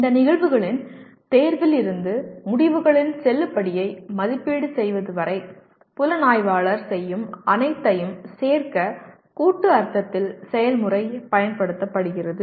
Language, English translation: Tamil, Process is used in the collective sense to include everything the investigator does from this selection of the phenomena to be investigated to the assessment of the validity of the results